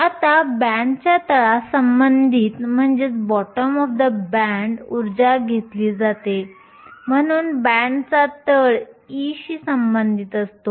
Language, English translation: Marathi, Now, energy is taken with respect to the bottom of the band so e with respect to the bottom of the band